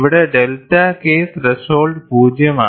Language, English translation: Malayalam, Here, the delta K threshold is 0